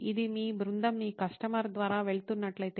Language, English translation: Telugu, If this what your team is going your customer is going through